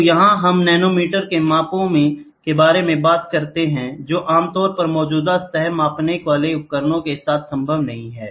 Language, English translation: Hindi, So, here what we talk about we talk about measurements in nanometers which is not generally possible with the existing surface measuring devices, ok